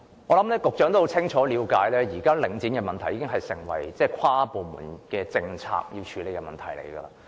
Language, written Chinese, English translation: Cantonese, 我相信局長清楚了解，領展的問題現時已成為需要跨部門處理的政策問題。, I think the Secretary knows clearly that this issue concerning the Link has become a policy concern requiring inter - departmental attention